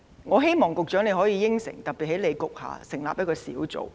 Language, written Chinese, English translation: Cantonese, 我希望局長可以承諾，在你局下特別成立一個小組。, I hope the Secretary can make an undertaking of setting up a special team under your Policy Bureau